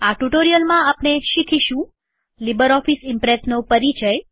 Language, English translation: Gujarati, Welcome to the tutorial on Introduction to LibreOffice Impress